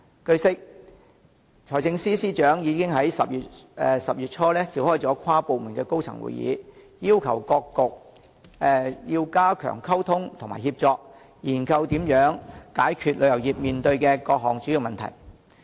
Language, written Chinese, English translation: Cantonese, 據悉，財政司司長已於10月初召開了跨局的高層會議，要求各局加強溝通及協作，研究如何解決旅遊業面對的各項主要問題。, It is learnt that in early October the Financial Secretary already convened an inter - bureau high - level meeting at which he requested various bureaux to enhance communication and coordination and study how to resolve various major problems faced by the tourism industry